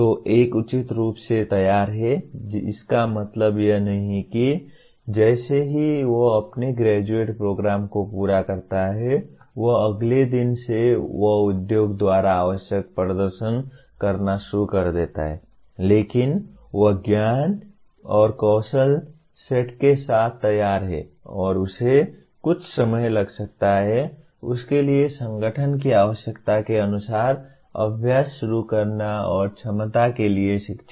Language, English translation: Hindi, So one is reasonably ready, it does not mean that as soon as he completes his undergraduate program he is from the next day he starts performing as required by the industry but he is ready with the knowledge and skill set and he may take a short time for him to start practicing as per the requirement of the organization